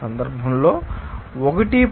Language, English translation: Telugu, Now, in this case, 1